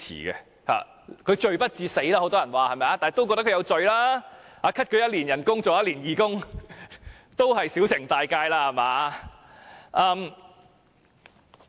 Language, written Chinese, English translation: Cantonese, 很多人說她罪不至死，但也認為她是有罪的，那麼削減她1年薪酬，要她當1年義工，也算是小懲大誡吧？, Many people say her crime is not serious enough for her to receive a death penalty but they also consider that she is guilty . In that case would it not be a small punishment and a big admonishment if we cut her remuneration and ask her to serve as a volunteer for one year?